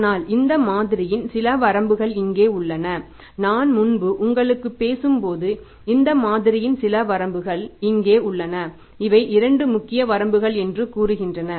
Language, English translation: Tamil, But here are some of the limitations of this model as I talked to you earlier that here are some limitations of this model and these are say two major limitations